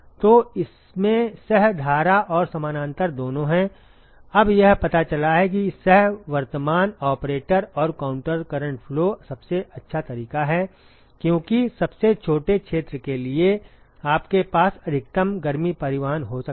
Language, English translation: Hindi, So, it has both co current and parallel; now what it turns out is that the co current operator and the counter current flow is the best mode right because for as smallest area you can have maximum heat transport